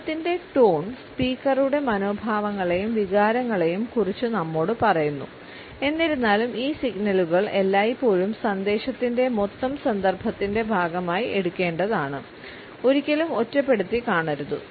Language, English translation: Malayalam, Tone of the voice tells us about the attitudes and feelings of the speaker, these signals however should always be taken as a part of the total context of the message and never in isolation